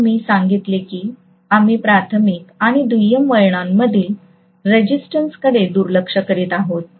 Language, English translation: Marathi, We said we are neglecting the resistance in the primary and secondary windings